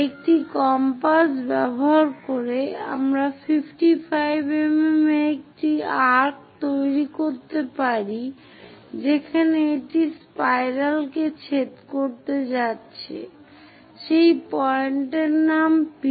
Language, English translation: Bengali, Using compass, we can make an arc of 55 mm where it is going to intersect the spiral name that point P